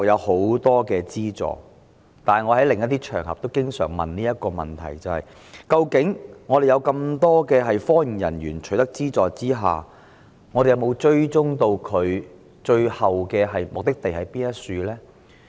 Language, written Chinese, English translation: Cantonese, 可是，正如我在另外一些場合經常提出質疑：有這麼多科研人員取得資助，究竟當局有否追蹤他們最後的目的地在何處呢？, However as often on some other occasions I have this doubt As so many researchers have been granted subsidies exactly have the authorities traced their final destinations?